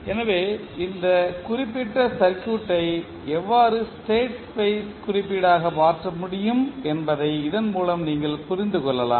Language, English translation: Tamil, So with this you can now understand that how you can convert this particular the circuit into a state space representation